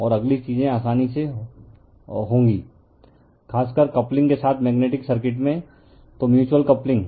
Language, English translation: Hindi, And next we will find things are easy, particularly in magnetic circuit with coupling right, so mutual coupling